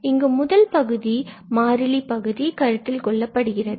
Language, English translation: Tamil, Here also the first term, the constant term is considered